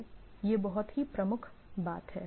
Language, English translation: Hindi, So, there is the major thing